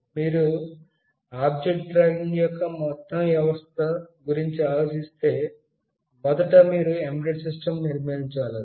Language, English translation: Telugu, If you think of an overall system of object tracking, first of all you have to build an embedded system